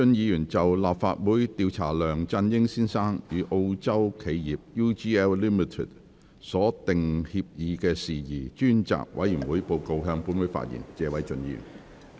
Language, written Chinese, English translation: Cantonese, 謝偉俊議員就"立法會調查梁振英先生與澳洲企業 UGL Limited 所訂協議的事宜專責委員會報告"，向本會發言。, Mr Paul TSE will address the Council on the Report of the Legislative Council Select Committee to Inquire into Matters about the Agreement between Mr LEUNG Chun - ying and the Australian firm UGL Limited